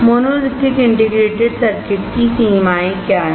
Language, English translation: Hindi, What is a monolithic integrated circuit